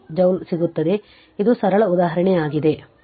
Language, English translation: Kannada, 25 joule right it is a simple example simple example